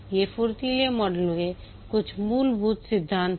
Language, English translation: Hindi, These are some of the very fundamental principles of the Agile Model